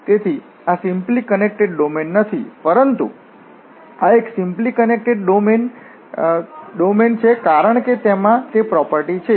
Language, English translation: Gujarati, So, therefore, this is not simply connected domain, but this one is simply connected domain because it has that property